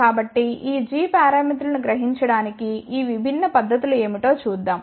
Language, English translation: Telugu, So, let us see what are these different techniques to realize these g parameters